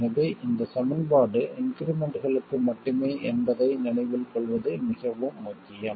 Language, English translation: Tamil, So, it's extremely important to remember that this equivalence is only for the increments